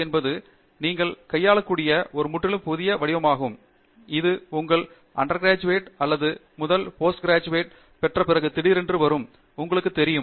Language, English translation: Tamil, This is a completely new pattern that you are handling, which comes, you know, all of a sudden after you do your bachelor’s degree or your first masters degree and so on